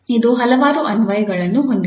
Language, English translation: Kannada, It has several applications